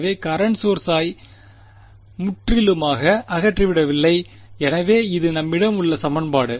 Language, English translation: Tamil, So, it is not that have completely removed the current source, so, this is the equation that we have